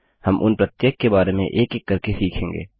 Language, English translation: Hindi, We will learn about each one of them one by one